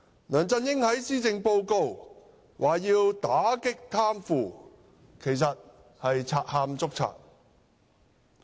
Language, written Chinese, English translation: Cantonese, 梁振英在施政報告中說要打擊貪腐，其實是賊喊捉賊。, LEUNG Chun - ying vowed in the Policy Address to combat corruption . Actually this is a thief crying thief